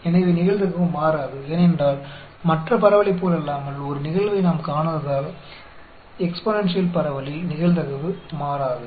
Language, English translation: Tamil, So, the probability will not change, because unlike other distribution, because we have not seen a event occurring, probability will not change at all in the exponential distribution